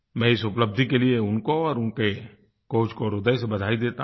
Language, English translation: Hindi, I extend my heartiest congratulations to him and his coach for this victory